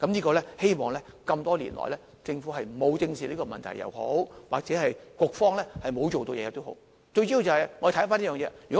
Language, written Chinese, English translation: Cantonese, 這麼多年來，不管是政府沒有正視這個問題，又或是局方沒有做任何事，最主要的是我們回看這件事。, The problem has remained for years whether it is caused by the Governments failure to address it squarely or by non - action on the part of HA . Still it is important that we have to look into the issue